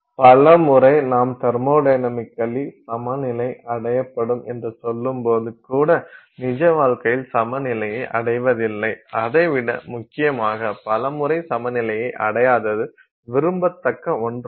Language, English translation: Tamil, So, for many times even though you know when we say in thermodynamically equilibrium will be attained and so on, in real life many times we are actually not attaining equilibrium and even more importantly many times it is desirable not attain equilibrium